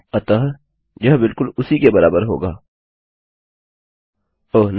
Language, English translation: Hindi, So, this will equal exactly oh no